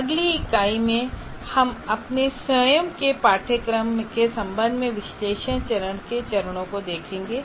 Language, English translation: Hindi, And then next unit, we will look at the steps of analysis phase with respect to one's own course